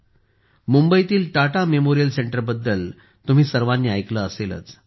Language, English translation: Marathi, All of you must have heard about the Tata Memorial center in Mumbai